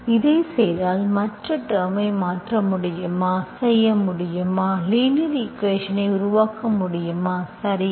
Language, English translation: Tamil, If I do this, can I replace the other term, so can I, can I do, can I make it linear equation, okay